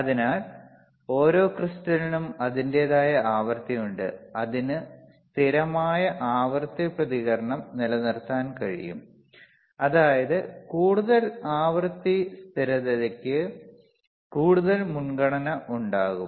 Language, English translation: Malayalam, So, every crystal has itshis own frequency and it can hold or it can have a stable frequency response, preferred for greater frequency stability